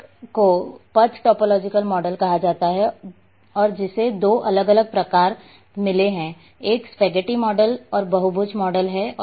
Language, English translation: Hindi, One is called Path topological model and which has got two different types; one is Spaghetti Model and Polygon Model